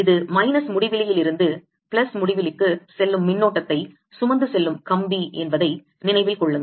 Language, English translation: Tamil, remember, this is a current carrying wire going from minus infinity to plus infinity